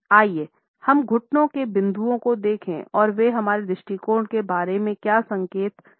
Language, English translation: Hindi, Let us look at the knee points and what exactly do they signify about our attitudes